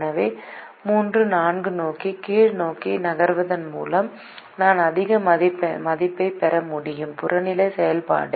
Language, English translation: Tamil, so by moving downwards towards three comma four, i will be able to get higher value of the objective function